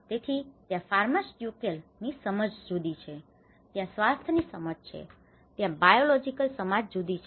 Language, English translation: Gujarati, So, there is pharmaceutical understanding is different, there is a health understanding, there is a biological understanding is different